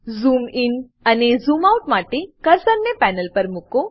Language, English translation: Gujarati, To zoom in and zoom out, place the cursor on the panel